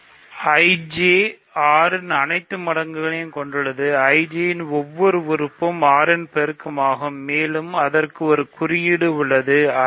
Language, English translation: Tamil, So, IJ contains all multiples of 6, every element of IJ is a multiple of 6, so I J is exactly multiples of 6